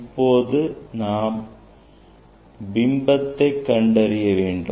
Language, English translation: Tamil, When we find the position of the image